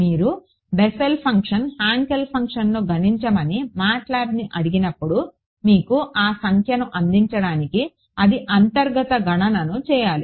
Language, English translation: Telugu, When you ask MATLAB to compute Bessel function Hankel function, it has to do a internal calculation to give you that number